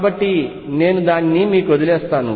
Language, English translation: Telugu, So, I will leave that for you